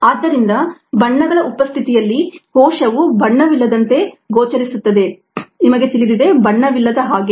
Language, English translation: Kannada, so in the presence of dye the cell is go into appear un dye, it you know, uncoloured ah